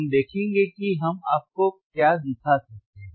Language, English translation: Hindi, We will see what we can we can show it to you